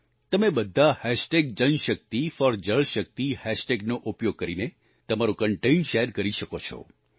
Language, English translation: Gujarati, You can all share your content using the JanShakti4JalShakti hashtag